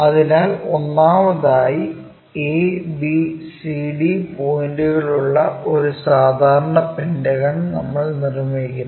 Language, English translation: Malayalam, So, first of all, we make a regular pentagon having a, b, c and d points